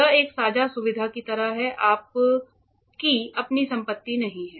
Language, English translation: Hindi, This is like a shared facility, it is not your own property